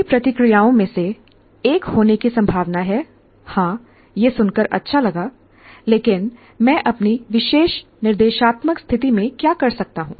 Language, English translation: Hindi, One of the first reactions is likely to be, yes, it's all nice to hear, but what can I do in my particular instructional situation